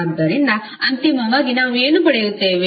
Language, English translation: Kannada, So, finally what we got